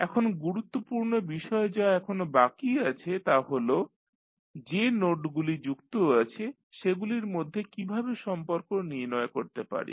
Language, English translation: Bengali, Now, the important thing which is still is left is that how we will co relate the nodes which are connect, which are adjacent to each other